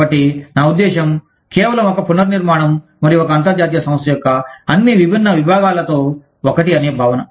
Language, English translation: Telugu, So, i mean, just a restructuring, and a feeling of being one, with all the different units, of an international organization